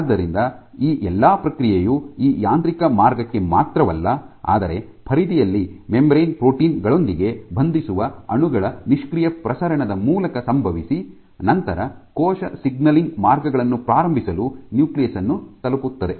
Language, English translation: Kannada, So, all this process could also have happened not just to this mechanical route, but through passive diffusion of molecules which bind to membrane proteins at the periphery and then come in and reach the nucleus to direct cell signaling pathways